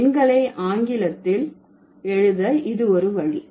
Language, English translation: Tamil, So, that is one way of writing the numbers as in English